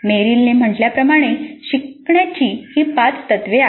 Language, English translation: Marathi, So these are the five principles of learning as stated by Merrill